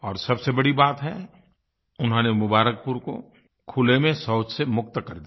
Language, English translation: Hindi, And the most important of it all is that they have freed Mubarakpur of the scourge of open defecation